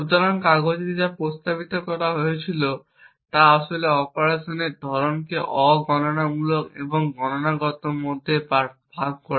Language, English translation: Bengali, So, what was proposed in the paper was to actually divide the type of operations into non computational and computational